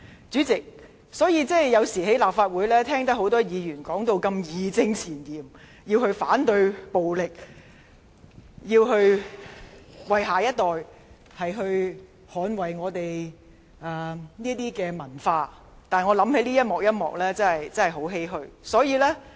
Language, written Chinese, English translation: Cantonese, 主席，我有時候在立法會內聽到多位議員義正詞嚴地表示反對暴力，說要為下一代捍衞香港的文化，但當我想起上述的情景時，我真的感到十分欷歔。, President sometimes in the Legislative Council I can hear various Members voice opposition to violence with a strong sense of righteousness . They assert that they must safeguard Hong Kongs culture for the next generation . But I honestly cannot but heave a sigh at the thought of the above situation